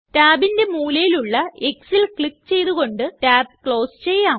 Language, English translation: Malayalam, Lets close this tab by clicking on the x at the corner of the tab